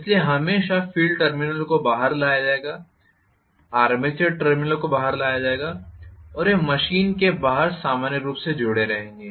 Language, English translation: Hindi, So, always the field terminals will be brought out, armature terminals will be brought out and they will be connected external to the machine normally